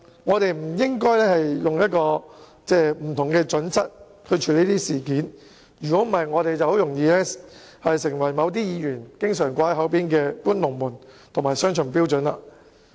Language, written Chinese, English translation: Cantonese, 我們不應採取不同準則處理這類事件，否則我們便很容易犯了某些議員口中常說的"搬龍門"及採用雙重標準的毛病。, We should not adopt different criteria in handling such incidents . Otherwise we would have easily made the mistakes often referred to by certain Members and that is moving the goalposts and adopting double standards